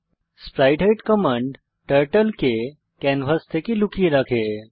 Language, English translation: Bengali, spritehide command hides Turtle from canvas